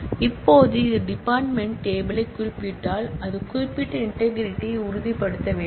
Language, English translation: Tamil, Now, if it references the department table, it must ensure the referential integrity